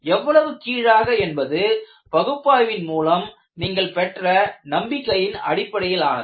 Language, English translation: Tamil, How below, depends on what kind of a confidence level you have in your analysis